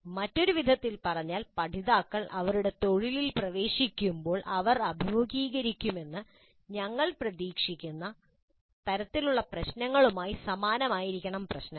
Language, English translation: Malayalam, In other words, the problems should look very similar to the kind of problems that we expect the learners to face when they actually enter their profession